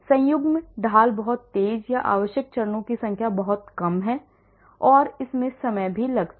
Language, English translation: Hindi, conjugate gradient is much faster or the number of steps required is much less and it also takes less time